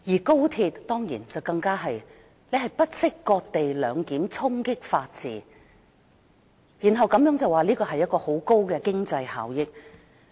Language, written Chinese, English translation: Cantonese, 高鐵方面，政府更是不惜"割地兩檢"，衝擊法治，然後推說這安排能帶來很大的經濟效益。, With regard to the Express Rail Link the Government has gone even further to cede land for co - location and challenged the rule of law on the pretext that this would bring about greater economic benefits